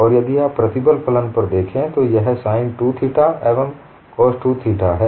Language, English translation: Hindi, And if you look at the nature of the stress function, it is in the form of sin 2 theta and cos 2 theta